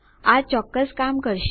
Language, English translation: Gujarati, This will work for sure